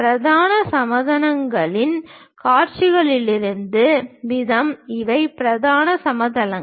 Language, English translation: Tamil, The way views are there on principal planes, these are the principal planes